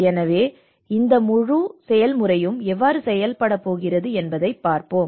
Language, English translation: Tamil, So let us see how this whole process is going to work